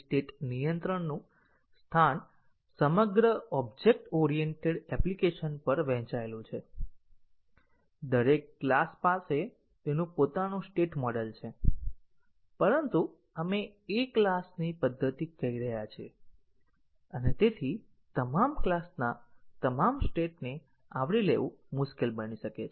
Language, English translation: Gujarati, So, the locus of the state control is distributed over the entire object oriented application each class has it is own state model, but we are calling method of one class and therefore, covering all the states of all classes may become difficult